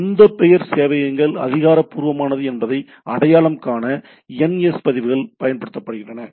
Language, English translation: Tamil, The NS records are used to identify which of the name servers are authoritative